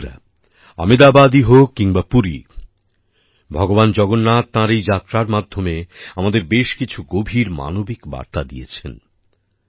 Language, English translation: Bengali, Friends, be it Ahmedabad or Puri, Lord Jagannath also gives us many deep human messages through this journey